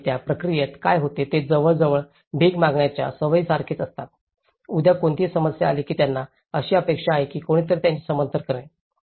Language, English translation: Marathi, And in that process, what happens is they almost accustomed to kind of begging, tomorrow any problem comes they are expecting someone will support them